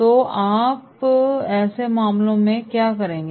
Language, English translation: Hindi, So what you will do in such cases